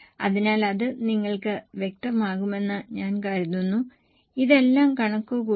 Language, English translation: Malayalam, So, I think it will be clear to you all these things have been calculated